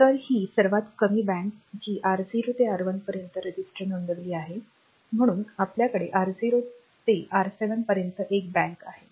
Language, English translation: Marathi, So, this is the lowest bank having the registers R0 to R7 then we have got bank one going from R0 to R7